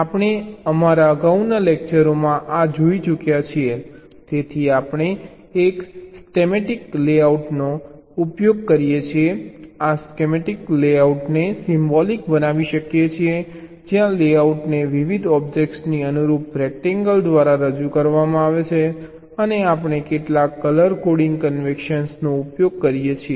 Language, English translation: Gujarati, so we can use a schematic layout ah, symbolic, your schematic layout thing, where the layout is represented by rectangle corresponding to the different objects and we use some color coding convention